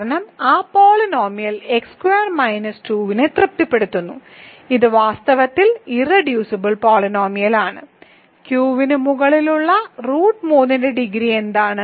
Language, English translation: Malayalam, Because that polynomial it satisfies x squared minus 2, which is in fact, the irreducible polynomial; what is a degree of root 3 over Q is 3 sorry I should say cube root of 2 over Q